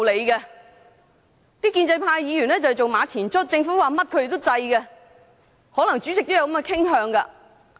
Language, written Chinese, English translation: Cantonese, 建制派議員都是馬前卒，政府說甚麼他們都贊成，可能主席也有這種傾向。, Pro - establishment Members are pawns and they agree with whatever the Government says . The Chairman may also have this inclination